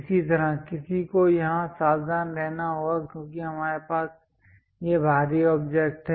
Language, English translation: Hindi, Similarly, one has to be careful here because we have this exterior object